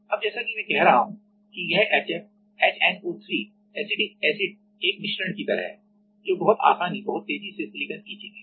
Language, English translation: Hindi, Now, as I am saying that this HF HNO3 acetic acid are like a mixture which is which is silicon very aggressively very easily